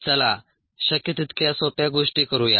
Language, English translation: Marathi, let us make things as simple as possible